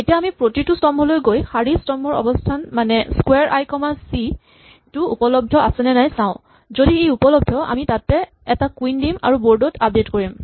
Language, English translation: Assamese, Now we run through each column and check whether the row column position that is the square i comma c is available, if it is available we then put a queen there and we of course, have to update the board